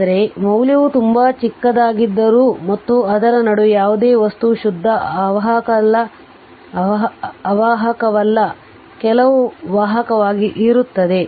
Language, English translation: Kannada, All though there very value is very small and in between that that no no nothing no material is a pure insulator right some conduction will be there